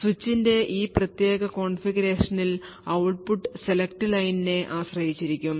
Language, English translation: Malayalam, So what you say is given this particular configuration of the switch, the output would be dependent on select line